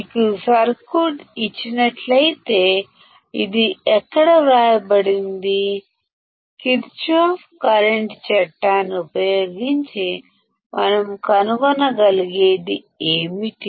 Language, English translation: Telugu, It is written over here, if you are given this circuit; then using Kirchhoff current law what we can find